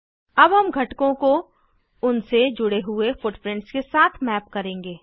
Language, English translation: Hindi, Now we will map the components with their associated footprints